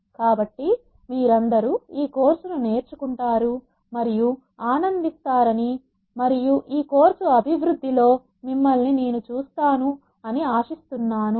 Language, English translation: Telugu, So, I hope all of you learn and enjoy from this course and we will see you as the course progresses